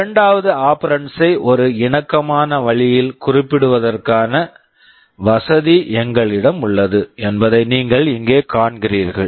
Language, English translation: Tamil, You see here we have a facility of specifying the second operand in a flexible way